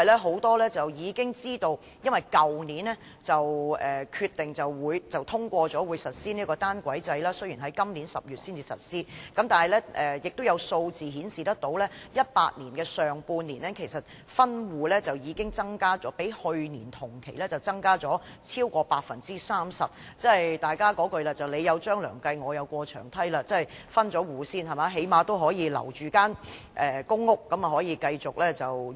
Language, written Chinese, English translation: Cantonese, 很多人已知道，當局去年已通過決定，將於今年10月實施單軌制，但有數字顯示 ，2018 年上半年的分戶個案數目較去年同期增加超過 30%， 即所謂"你有張良計，我有過牆梯"，先分戶，最低限度可以留住公屋單位繼續自用。, As many people know the authorities decided last year to implement the single track system in October this year . However figures have indicated that in the first half of 2018 the number of cases of household splitting will be up by 30 % over the same period in the previous year . That means as the saying goes Where there is a measure there is bound to be a countermeasure